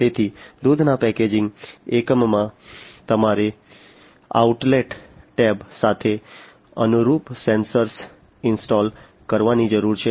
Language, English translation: Gujarati, So, in a milk packaging unit you need to install the sensors in line with the outlet tab